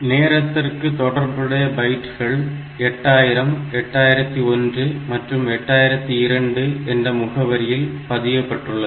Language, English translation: Tamil, Finally the bytes corresponding to the time are stored at location 8000, 8001 and 8002